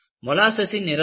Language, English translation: Tamil, What is the color of molasses